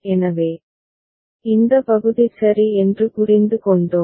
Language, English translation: Tamil, So, this part we have understood ok